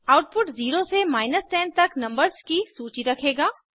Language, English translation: Hindi, The output will consist of a list of numbers 0 through 10